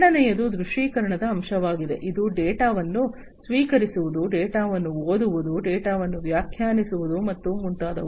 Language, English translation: Kannada, Second is the visualization aspect, which is about receiving the data, reading the data, interpreting the data and so on